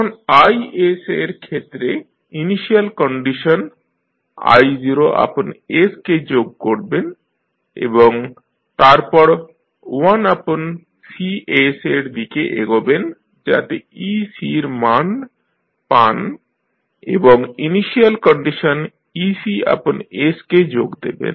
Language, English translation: Bengali, Now, i s, here you will add the initial condition that is i naught by S and then you pass on through 1 by cs, so you get the value of the ec and plus you add the initial condition that is ec by S